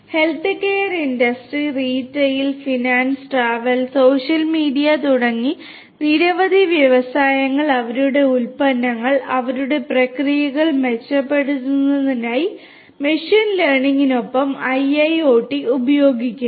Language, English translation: Malayalam, Different industries such as healthcare industry, retail, finance, travel, social media and many more use IIoT with machine learning in order to improve their products their processes and so on